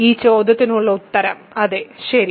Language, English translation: Malayalam, So, the answer to this question is yes ok